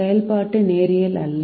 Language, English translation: Tamil, the, the function is not known linear